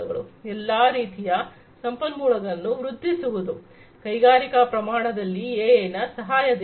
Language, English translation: Kannada, So, all kinds of resources could be boosted up, with the help of use of AI in the industrial scale